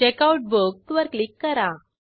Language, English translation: Marathi, Click on Checkout Book